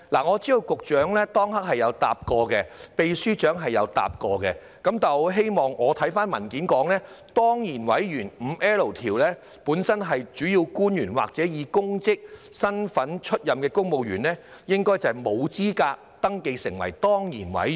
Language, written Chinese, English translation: Cantonese, 我知道局長當時曾經回答，秘書長亦曾經回答，但我翻看文件，根據第 5L 條，本身是主要官員或者以其公職身份擔任指明職位的公務員，應該沒有資格登記成為當然委員。, Under such circumstances how will the matter be handled according to the Bill? . I understand that the Secretary has answered my question at that time and the Permanent Secretary has given a reply as well . That said when I read through the papers I found that according to section 5L a principal official or civil servant who is holding a specified office in his or her official capacity should be ineligible to be registered as an ex - officio member